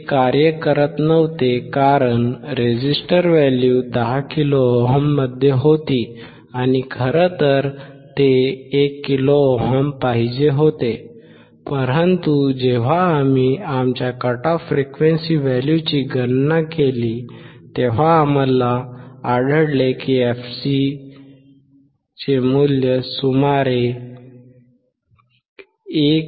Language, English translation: Marathi, It was not working because the resistors value were not get that in kilo ohm and in fact, they were 1 kilo ohms, but when we converted back to when we when we calculated our cut off frequency value then we found that the fc value is about 1